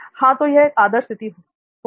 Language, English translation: Hindi, Yeah so that is the ideal situation